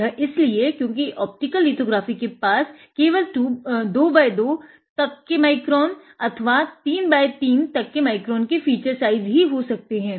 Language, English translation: Hindi, It is because optical lithography can have only fan like 2 up to 2 micron or 3 micron feature size